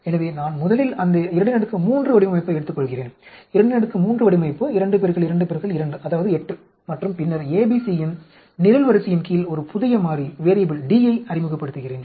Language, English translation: Tamil, So, I first take that 2 power 3 design, 2 power 3 design is 3, 2 into 2 into 2 that is 8 and then, I introduce a new variable D under the column of ABC